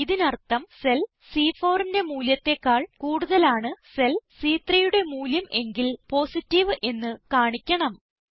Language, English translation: Malayalam, This means if the value in cell C3 is greater than the value in cell C4, Positive will be displayed or else Negative will be displayed.